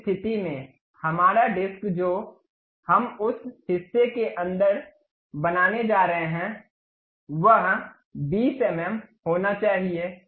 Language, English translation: Hindi, In that case our disc what we are going to construct inside of that portion supposed to be 20 mm